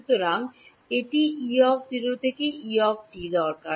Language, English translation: Bengali, So, it needs E 0 to E t